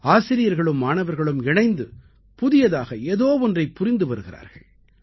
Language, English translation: Tamil, The students and teachers are collaborating to do something new